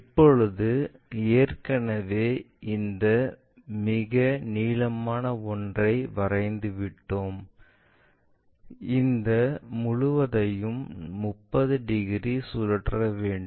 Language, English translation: Tamil, Now, already this longest one we have constructed, this entire thing has to be rotated by 30 degrees